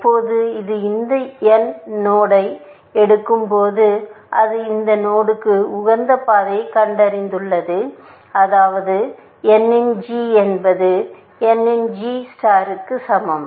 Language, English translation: Tamil, Whenever, it picks this node n, it has found optimal path to that node, which means g of n is equal to g star of n